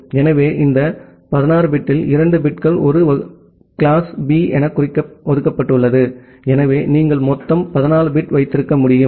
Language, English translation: Tamil, So, out of this 16 bit, two bits are reserved for denoting it as a class B, so you can have a total of 14 bit